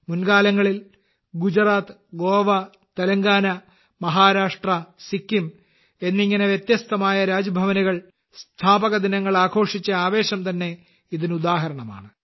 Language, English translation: Malayalam, In the past, be it Gujarat, Goa, Telangana, Maharashtra, Sikkim, the enthusiasm with which different Raj Bhavans celebrated their foundation days is an example in itself